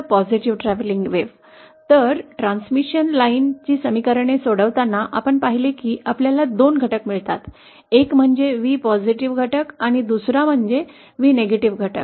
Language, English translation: Marathi, So, we saw that on solving the transmission line equations, we get 2 components, one is V+ component and the other is V components